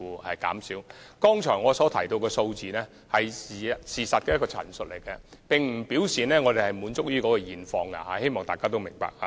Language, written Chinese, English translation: Cantonese, 我剛才提到的數字是事實的陳述，並不表示我們滿意於現況，希望大家明白。, When I mentioned some figures earlier I was only giving a statement of the facts . I hope Members can understand that this does not mean that we are complacent of the present situation